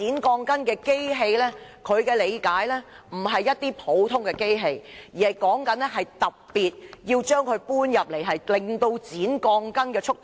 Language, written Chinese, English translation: Cantonese, 據他理解，剪鋼筋的機器不是普通機器，工人還要特別將機器搬出來，以加快剪鋼筋的速度。, According to his understanding the machine used to cut steel bars was not an ordinary machine . Workers have to use a special machine to speed up the cutting of steel bars